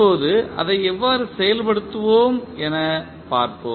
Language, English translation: Tamil, Now, let us see how we will implement it